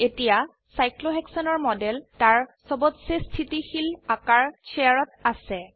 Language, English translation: Assamese, The model of Cyclohexane is now, in its most stable chair conformation